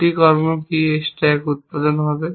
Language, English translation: Bengali, What are the two actions will produce this stack